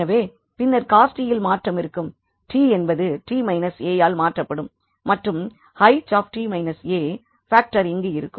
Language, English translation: Tamil, So, then there will be a shift in cos t with the t will be replace by t minus a and there will be a factor H t minus a